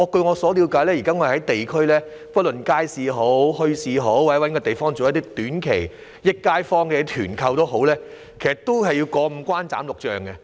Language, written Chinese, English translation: Cantonese, 據我了解，現時若要在地區——不論地點是街市、墟市或某個地方——舉辦短期"益街坊"的團購活動，也需要過五關斬六將。, According to my understanding at present if we want to organize some short - term group buying activities in a district―whether at a wet market a bazaar or a certain place―to benefit people in the neighbourhood we will need to overcome a lot of hurdles